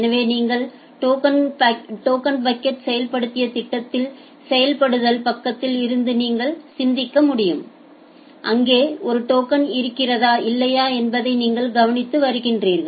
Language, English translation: Tamil, So, we are just you can think of in the implementation side in the program you have implemented the token bucket and you are observing that whether there is a token there or the not